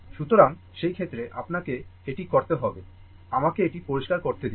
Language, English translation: Bengali, So, in that case, you have to make, just let me clear it